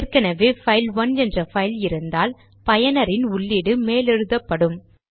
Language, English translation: Tamil, If a file by name say file1 already exist then the user input will be overwritten on this file